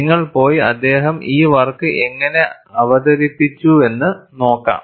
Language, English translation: Malayalam, You can go and have a look at it, how he has presented his work